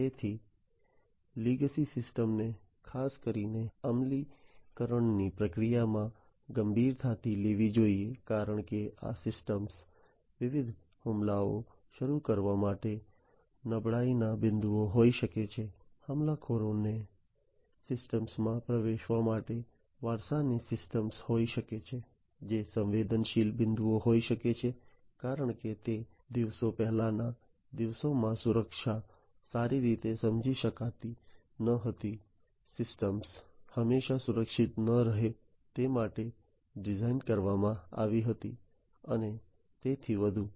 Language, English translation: Gujarati, So, legacy systems particularly should be taken seriously in the in the in the process of implementation because these systems might be the points of vulnerability for launching different attacks, for the attackers to get into the system the legacy systems could be the ones, which could be the vulnerable points because those days earlier days security was not well understood systems were designed not to be always secured and so on